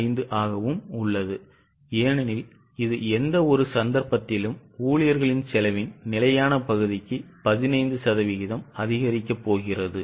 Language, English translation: Tamil, 15 because it is going to increase by 15% in any case for fixed part of the employee cost, both the cases it is a rise of 15%